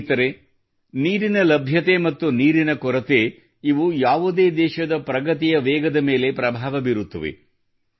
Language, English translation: Kannada, Friends, the availability of water and the scarcity of water, these determine the progress and speed of any country